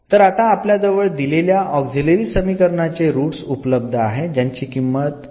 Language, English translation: Marathi, So, that is the solution the roots of this auxiliary equation as 2 and 3